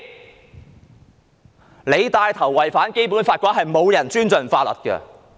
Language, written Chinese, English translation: Cantonese, 如果當局帶頭違反《基本法》，再沒有人會尊重法律。, If the authorities take the lead to breach the Basic Law no one will respect the law anymore